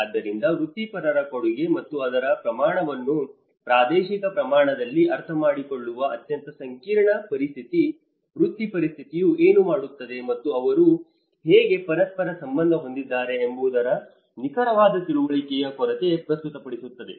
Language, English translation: Kannada, So that is where a very complex situation of understanding the professionals contribution and its scale on the spatial scale, a lack of precise understanding of what each profession does and how they relate to one another